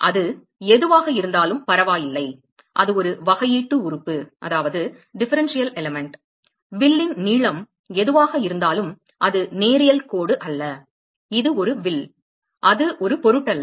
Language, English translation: Tamil, Whatever it is it does not matter it is a differential element, whatever is length of the arc it is not a linear line, it is an arc, it is does not matter